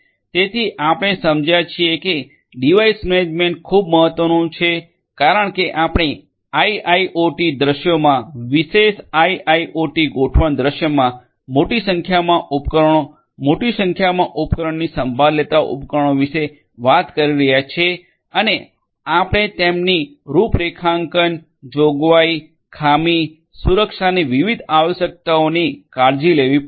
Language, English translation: Gujarati, So, we have understood that device management is very important because we are talking about in IIoT scenarios large number of devices taking care of large number of devices in a typical IIoT deployment scenario and you have to take care of different different requirements starting from their configuration provisioning faults security and so on and so forth